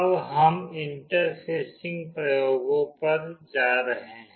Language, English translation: Hindi, Now we will be going to the interfacing experiments